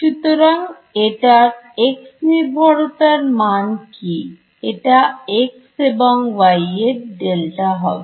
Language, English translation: Bengali, So, what about the x dependence of this, delta is going be a delta x then delta y